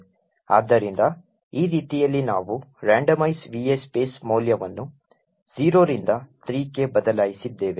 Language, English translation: Kannada, So in this way we have changed the value of randomize underscore VA underscore space from 0 to 3